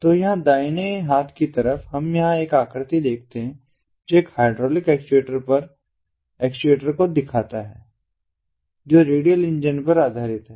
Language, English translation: Hindi, so here on the right hand side, we see over here a figure which shows an hydraulic actuator based an hydraulic actuator based radial engine